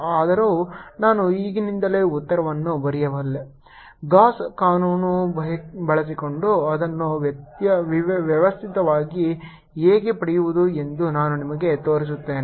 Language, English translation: Kannada, although i can write the answer right away, i'll show you how to systematically get it using gauss law